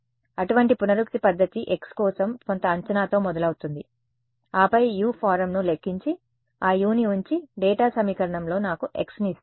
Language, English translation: Telugu, Such an iterative method starts with some guess for x, then calculates U form that and puts that U into the data equation and gives me the x ok